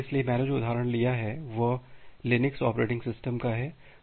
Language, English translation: Hindi, So, the example that I have taken is from the Linux operating system